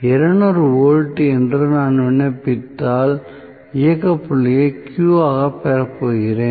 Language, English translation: Tamil, If I apply say, 200 volt, I am going to get the operating point as Q